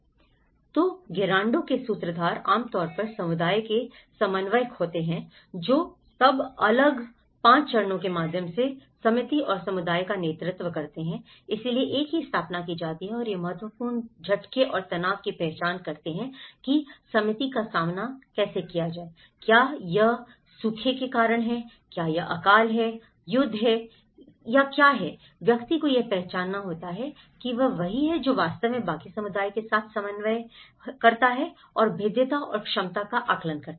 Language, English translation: Hindi, So, the Gerando facilitator usually the community coordinator, who then leads the committee and community through the next 5 steps so, one is set up and identify the significant shocks and stress that committee faces, is it due to drought, is it famine, is it war, is it that; the one has to identify that so, he is the one who actually coordinates with the rest of the community and carry out vulnerability and capacity assessment